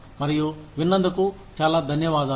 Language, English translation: Telugu, And, thank you very much, for listening